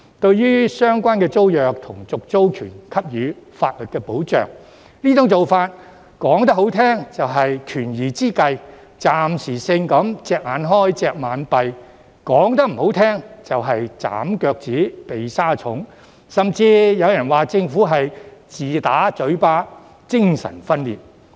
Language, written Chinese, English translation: Cantonese, 至於為相關租約和續租權提供法律保障的做法，說得好聽一點，是"權宜之計"、暫時性"隻眼開，隻眼閉"，說得不好聽，就是"斬腳趾，避沙蟲"，甚至有人說政府是"自打嘴巴"、"精神分裂"。, As regards the legal protection relating to tenancy agreements and the right to renew a tenancy by putting it nicely it is a stop - gap measure which temporarily turn a blind eye but by putting it bluntly it is trimming the toes to fit the shoes and some even say that the Government is contradicting itself and schizophrenic